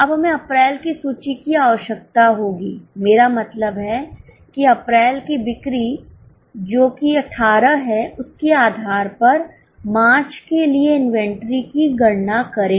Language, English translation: Hindi, Now, we will need the inventory of April, I mean sale of April which is 18 based on that compute the inventory for March